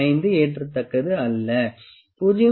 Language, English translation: Tamil, 5 not acceptable, 0